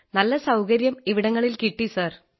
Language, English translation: Malayalam, There were a lot of facilities available there sir